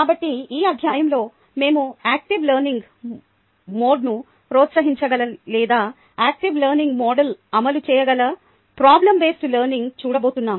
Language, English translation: Telugu, so in this ah, in this chapter, we are going to look at problem based learning, ah in that, can ah promote an active learning mode or that that is implemented in an active learning mode